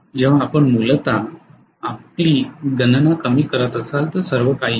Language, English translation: Marathi, When you are essentially reducing your calculation that is all